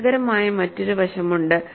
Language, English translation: Malayalam, There is also another interesting aspect